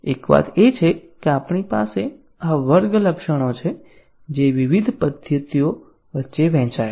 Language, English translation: Gujarati, One thing is that we have this class attributes which are shared between various methods